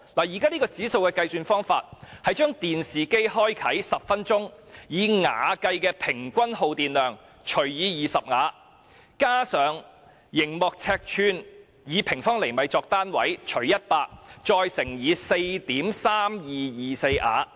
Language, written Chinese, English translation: Cantonese, 現時，指數的計數方法是在電視機開啟10分鐘後，把以瓦計的平均耗電量除以20瓦，加上熒幕尺寸，除以100再乘以 4.3224 瓦。, EEI is calculated by taking the average electricity consumption of TV after it has been switched on for 10 minutes divided by 20 W plus the screen area divided by 100 and then multiply by 4.3224 W This formula is very complicated and we may ignore it